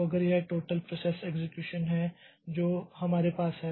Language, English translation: Hindi, So, if this is the total process execution, total process that we have